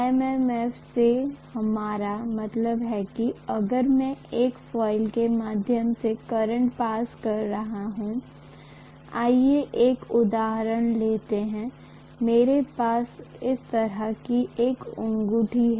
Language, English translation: Hindi, What we mean by MMF is if I am passing a current through a coil, let us take probably an example, maybe I have a ring like this